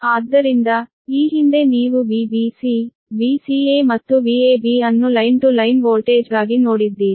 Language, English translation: Kannada, so earlier you have seen that your v b c, v c a and v a b right for line to line voltage, right